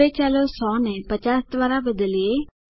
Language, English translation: Gujarati, Lets now replace 100 by 50